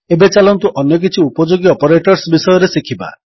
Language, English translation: Odia, Now, lets learn about a few other useful operators